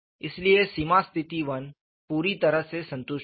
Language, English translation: Hindi, , so the boundary condition 1 is fully satisfied